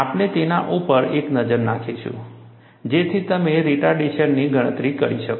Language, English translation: Gujarati, We will have a look at it, for you to calculate the retardation